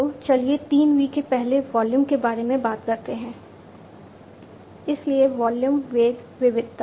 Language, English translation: Hindi, So, let us talk about the 3 V’s first volume, so volume, velocity, variety